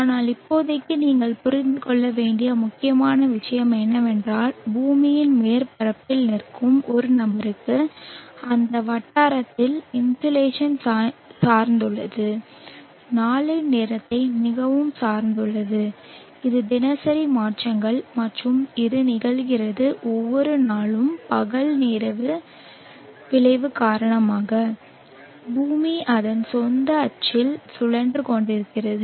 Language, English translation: Tamil, But for now important thing that you should understand is for a person standing on the surface of the earth, at that locality the insulation is dependent on any dependent on the time of the day and this is the diurnal changes and this happens every day because of the day night effect because the earth is rotating on its own axis